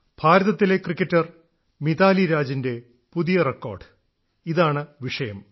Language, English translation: Malayalam, This subject is the new record of Indian cricketer MitaaliRaaj